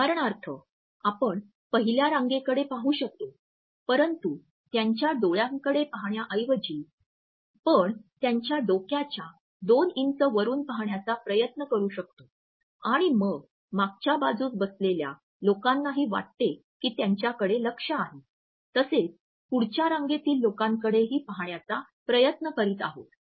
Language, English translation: Marathi, For example, you can look at the first row, but instead of looking into their eyes, you can try to look at couple of inches higher than the head for example or the airline and then the people who are sitting on the back rose would automatically think that you are trying to look at them as well as the front row people also